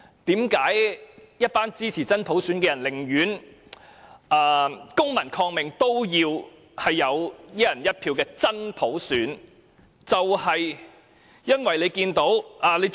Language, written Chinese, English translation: Cantonese, 為何一群支持真普選的人寧願公民抗命，都要爭取"一人一票"的真普選，就是因為看到......, Why a group of genuine universal suffrage supporters would resort to civil disobedience in order to fight for a one person one vote genuine universal suffrage?